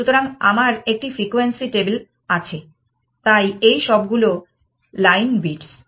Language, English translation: Bengali, So, I have a frequency table, so all these line bits